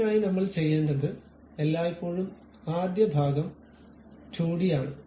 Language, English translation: Malayalam, For that purpose what I have to do is the first always the first part is a 2D one